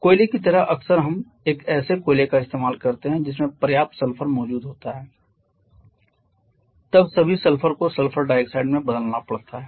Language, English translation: Hindi, Like in coal quite often we a coal we quite have enough sulphur present then all the sulphur has to be converted to sulphur dioxide as well